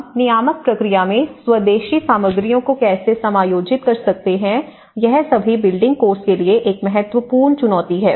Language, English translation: Hindi, How can we accommodate the indigenous materials in the regulatory process, that is an important challenge for all the building course